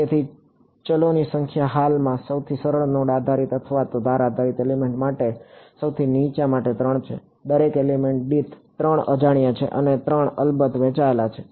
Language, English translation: Gujarati, So, number of variables currently is 3 for the low for the most for the simplest node based or edge based element, per element there are 3 unknowns and those 3 are of course, shared across